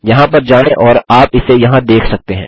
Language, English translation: Hindi, Lets go there and you can see it here